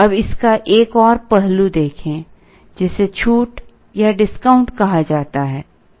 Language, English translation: Hindi, Now look at another aspect of it, which is called discount